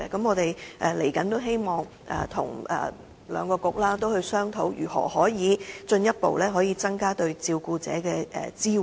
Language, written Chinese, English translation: Cantonese, 我們希望日後跟兩個政策局商討如何能進一步增加對照顧者的支援。, We hope to hold discussions with the two Policy Bureaux in the future on how the support for carers can be further enhanced